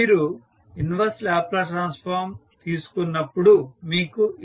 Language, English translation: Telugu, So, when you take the inverse Laplace transform what you get